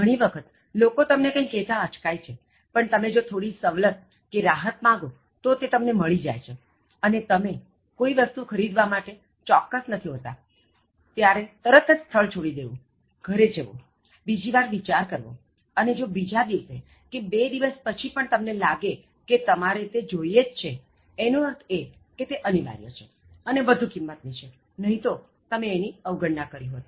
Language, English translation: Gujarati, Most of the times, people hesitate to ask for something but when you ask for slight discount, concession, you actually get it and when you are not sure whether you should buy a product or not so when you are confused after looking at a product leave the place immediately, go home give a second thought and if you really feel that the next day after two days still you should go and buy the product it means that the product is indispensable and it is of high value, otherwise you just ignore